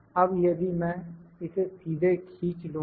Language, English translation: Hindi, Now, if I drag this directly